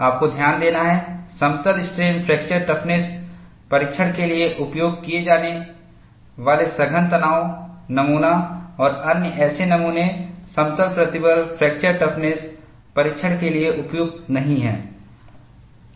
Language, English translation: Hindi, You have to note, the compact tension specimen and other such specimens used for plane strain fracture toughness testing are not suitable for plane stress fracture toughness testing